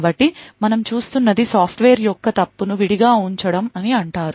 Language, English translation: Telugu, So, what we will be looking at is something known as Software Fault Isolation